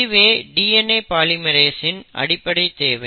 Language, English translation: Tamil, So basically this is a requirement of a DNA polymerase